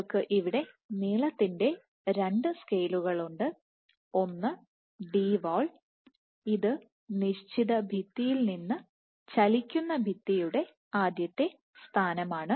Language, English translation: Malayalam, So, you have two length scales here one is Dwall, which is initial position of the moving wall from the fixed wall